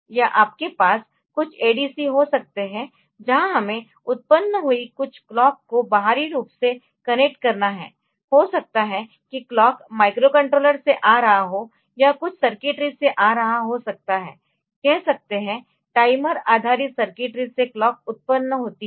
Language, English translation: Hindi, Or you can have some some ADC's we have to connect externally some clock generated may be coming from the microcontroller, or may be coming from some circuitry say may be say 5, 50 timer based circuitry from which the clock is generated and fit to it